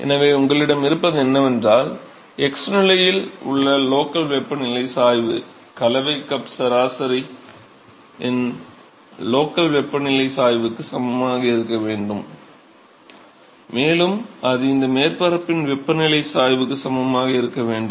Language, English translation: Tamil, So, what you have is that the local temperature gradient in the x position should be equal to the local temperature gradient of the mixing cup average, and that should also be equal to the temperature gradient of this surface